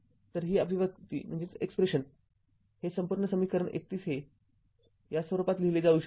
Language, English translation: Marathi, So, this this expression this whole thing equation 31 can be written in this form right